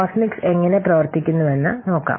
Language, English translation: Malayalam, Now let's see how Cosmix does work